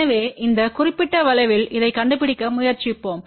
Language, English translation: Tamil, So, let us try to locate this on this particular curve here